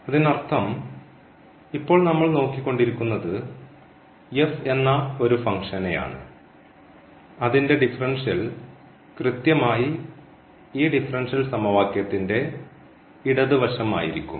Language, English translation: Malayalam, So that means, now what we are looking for we are looking for a function f whose differential is exactly this differential equation or rather the left hand side of this differential equation and